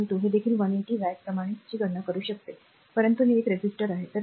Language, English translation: Marathi, 2 that is also 180 watt the way one you can compute the your power, but is a resistor